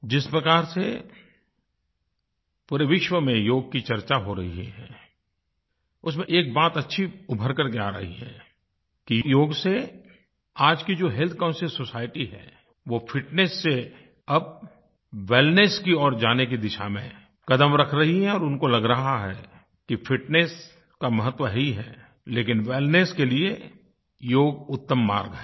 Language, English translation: Hindi, One significant outcome of the way the yoga is being talked about all around the world is the portent that today's health conscious society is now taking steps from fitness to wellness, and they have realised that fitness is, of course, important, but for true wellness, yoga is the best way